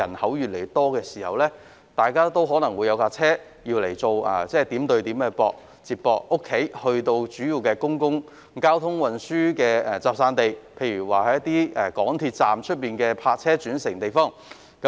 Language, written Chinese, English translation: Cantonese, 該等地區的人口越來越多，大家需要車輛作為點對點的接駁工具，由住所前往公共交通運輸交匯處，例如港鐵站外的泊車轉乘設施。, The population of those areas has been growing and residents need to drive point - to - point from their residences to public transport interchanges such as MTR stations where park - and - ride facilities are available